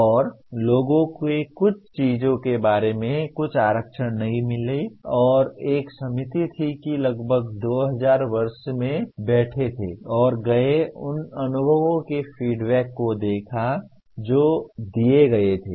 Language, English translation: Hindi, And people did find some reservations about some of the things and there was a committee that in around 2000 year 2000 they sat down and looked at the experiences feedback that was given